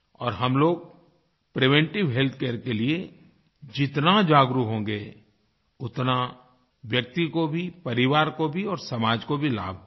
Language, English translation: Hindi, And, the more we become aware about preventive health care, the more beneficial will it be for the individuals, the family and the society